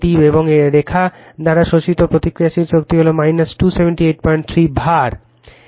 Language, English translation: Bengali, And reactive power absorbed by line is minus 278